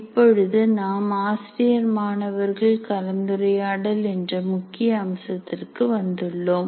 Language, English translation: Tamil, Now comes very important aspect, namely teacher student interaction